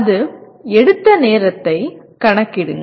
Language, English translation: Tamil, Calculate time taken by that